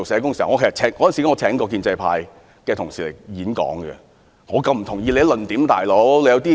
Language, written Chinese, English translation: Cantonese, 當時我曾邀請建制派人士演講，但我卻不同意他們的論點。, At that time I invited some members of the pro - establishment camp to speak although I did not share their views